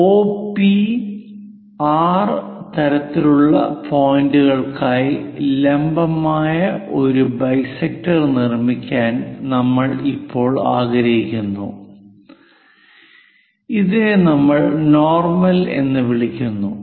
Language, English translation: Malayalam, Now, we will like to construct a perpendicular bisector for OP and R kind of point and this one what we are calling as normal